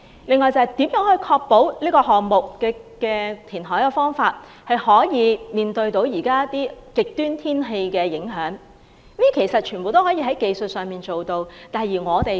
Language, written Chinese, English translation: Cantonese, 此外，如何確保人工島可以抵禦極端天氣的影響？其實這些問題技術上都可以解決。, Moreover as regards how to ensure that the artificial islands can withstand the impacts of extreme weather these technical problems can be resolved